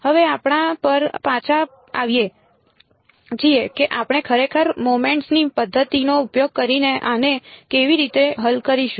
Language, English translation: Gujarati, Now coming back to our how we will actually solve this using the method of moments